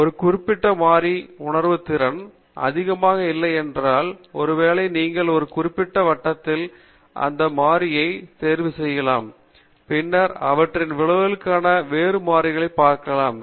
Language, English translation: Tamil, If a particular variable is not having that much of sensitivity, probably you can fix that variable at a certain level, and then, look at the other variables for their effects